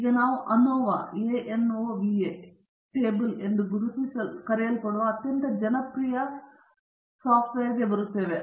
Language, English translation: Kannada, Now, we will be coming to a very popular and very important table called as the ANOVA table